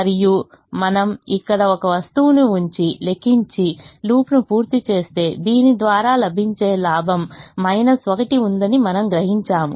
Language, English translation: Telugu, and if you put one item here and compute, complete the loop, you will realize that there is a gain which is given by this minus one